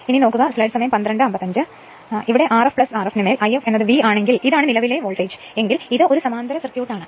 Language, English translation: Malayalam, So, therefore, I f is equal to V upon R f plus R f dash because this is the current I f voltage this is a parallel circuit